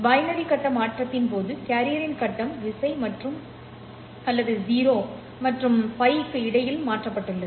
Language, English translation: Tamil, In this case of binary phase shift keying, the phase of the carrier is keyed or is changed between 0 and pi